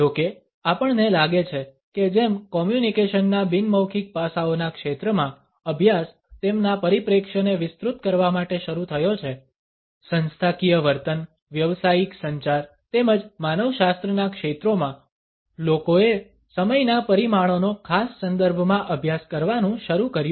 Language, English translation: Gujarati, However, we find that as studies in the field of nonverbal aspects of communication is started to broaden their perspective, in the areas of organizational behavior, business communication as well as an anthropology people started to study the dimensions of time in particular contexts